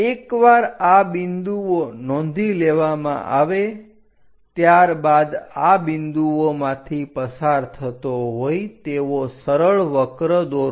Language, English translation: Gujarati, Once these points are noted down draw a smooth curve which pass through these points